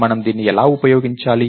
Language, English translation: Telugu, So, how do we use this